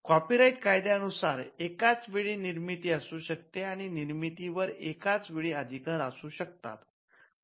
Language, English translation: Marathi, Copyright is slightly different you can have simultaneous creations and you can have overlapping rights over similar works